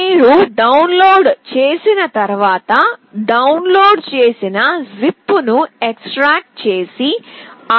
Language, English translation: Telugu, Once you have downloaded, extract the downloaded zip and click on arduino